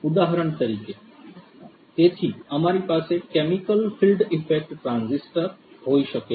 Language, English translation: Gujarati, For example, So, we could have the chemical field effect transistors